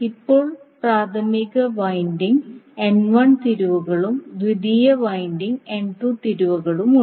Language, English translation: Malayalam, Now primary winding is having N 1 turns and secondary is having N 2 turns